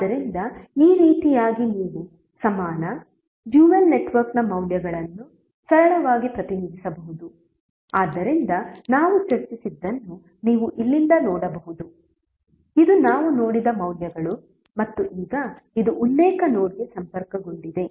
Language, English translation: Kannada, So in this way you can simply represent the values of the equivalent, dual network, so what we have discuss you can simply see from here that this are the values which we have seen and now this are connected to the reference node